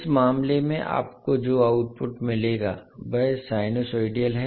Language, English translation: Hindi, The output which you will get in this case is sinusoidal